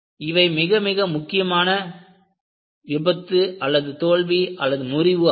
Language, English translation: Tamil, They were very very important failures